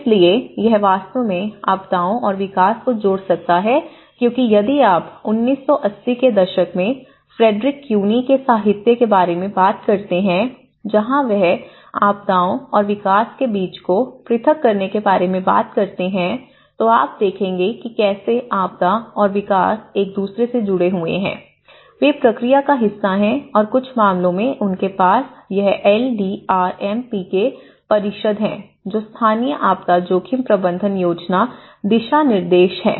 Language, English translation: Hindi, So, this can actually connect the disasters and development because if you go back to the literature of Frederick Cuny in 1980s where he talks about the disconnect between the disasters and the development, you know, the how the disasters and development are interrelated to each other, they are part of the process and in some cases yes in some councils they have this LDRMP which is the Local Disaster Risk Management Planning Guidelines